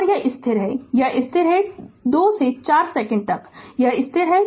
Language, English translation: Hindi, And this is constant and this is constant; from 2 to 4 second, it is constant right